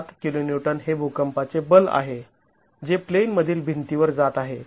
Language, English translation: Marathi, 7 kiloons is the seismic force that is going on to the in plain walls